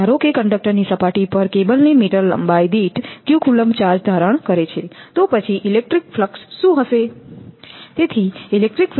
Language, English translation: Gujarati, So, let the assuming the charge on the surface of the conductor q coulomb per meter length of the cable, then what will be the electric flux